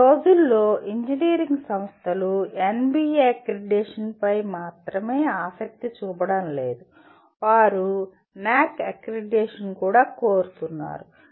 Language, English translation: Telugu, Because these days engineering institutions are not only interested in NBA accreditation, they are also seeking NAAC accreditation